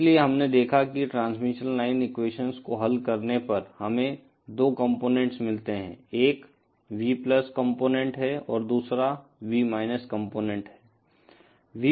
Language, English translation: Hindi, So, we saw that on solving the transmission line equations, we get 2 components, one is V+ component and the other is V components